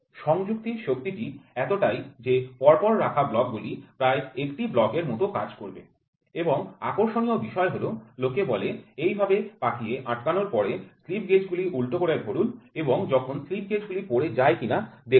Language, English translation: Bengali, The force of adhesion is such that the stack of set of blocks will almost serve as a single block and interestingly said what people say after you wrung slip gauges you have to turn it upright and see whether the slip gauges fall down or not